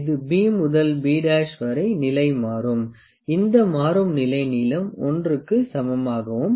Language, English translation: Tamil, It changes it is position from B to B dash, and this change in position this length is l